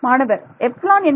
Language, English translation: Tamil, Epsilon is equal to